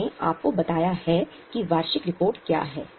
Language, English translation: Hindi, That's why in this session I have told you what is annual report